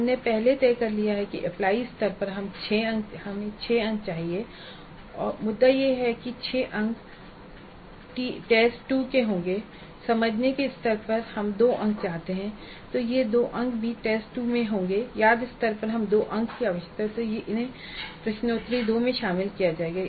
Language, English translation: Hindi, We already have decided that at apply level we need 6 marks and the decision is that these 6 marks would belong to T2 and at understandable we wanted 2 marks and these 2 marks also will be in T2 and at remember level we 2 we need 2 marks and these will be covered in FIS 2